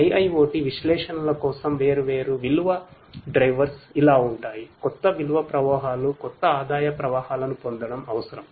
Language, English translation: Telugu, The different value drivers for IIoT analytics are like this, that you know it is required to derive new value streams, new revenue streams